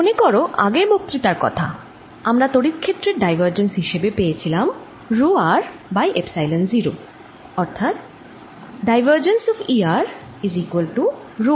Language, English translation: Bengali, recall that in the previous lecture we obtained the divergence of electric field as rho r over epsilon zero